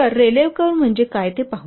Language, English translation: Marathi, So, let's see what is a rally curve